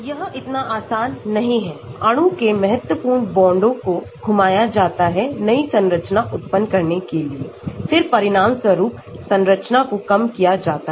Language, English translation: Hindi, It is not so easy, important bonds of the molecule are rotated by random amounts to generate a new structure then the resulting structure is minimized